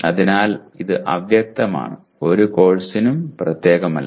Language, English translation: Malayalam, So it is vague, not specific to any course